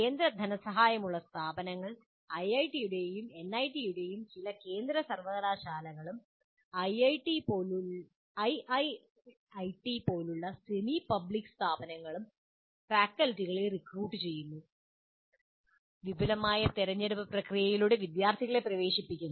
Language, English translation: Malayalam, Now, centrally funded institutions, IITs, NITs, and some central universities and a small number of semi public institutions like triple ITs, recruit faculty and admit students through elaborate selection process